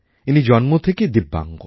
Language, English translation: Bengali, He is a Divyang by birth